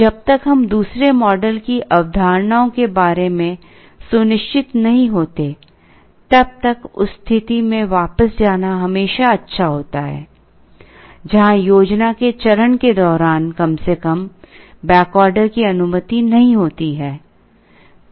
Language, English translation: Hindi, Unless we are sure of the assumptions of the second model, it is always good to go back to a situation where the back order is not allowed at least during the planning stage